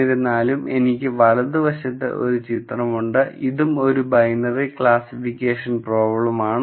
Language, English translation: Malayalam, However, I also have a picture on the right hand side this also turns out to be a binary classification problem